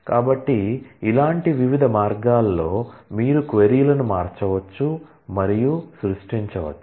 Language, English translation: Telugu, So, in different such ways, you can manipulate and create queries